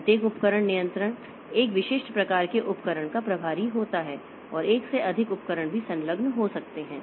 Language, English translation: Hindi, Each device controller is in charge of a specific type of device and more than one device may be also be attached